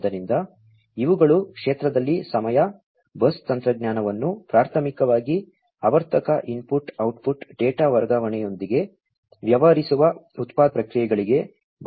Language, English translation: Kannada, So, these are time in the field bus technology is primarily used for manufacturing processes dealing with periodic input output data transfer